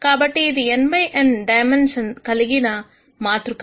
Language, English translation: Telugu, So, this is a matrix of dimension n by n